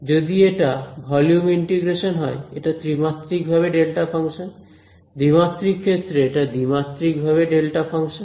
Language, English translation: Bengali, So, if it is a volume integration, it is a three dimension derived delta function, it is 2D case, so, it is two dimension derived delta function